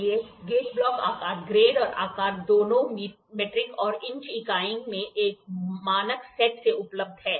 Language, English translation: Hindi, So, the gauge block shapes grades and sizes are available in a standard sets in both metric and inch units